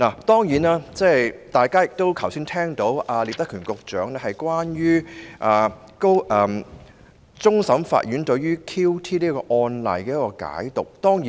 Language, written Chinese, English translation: Cantonese, 當然，大家聽到聶德權局長剛才如何解讀終審法院就 QT 一案所頒的判詞。, I am sure that Members have all heard how Secretary Patrick NIP interpreted the judgment handed down by the Court of Final Appeal on the QT case